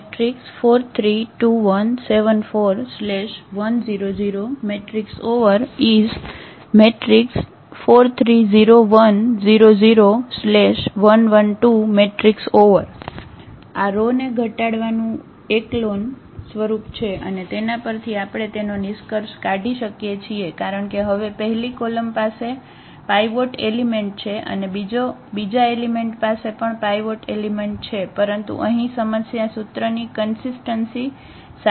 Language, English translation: Gujarati, So, 4 3 1 and then 0 here 1 1 and 0 0 2 so, this is the row reduce echelon form and from here now we can conclude because this is now our the first column has a pivot element the second column has also the pivot element and, but the problem here is with the consistency of the equation